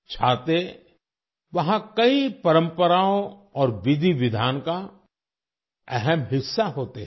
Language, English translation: Hindi, Umbrellas are an important part of many traditions and rituals there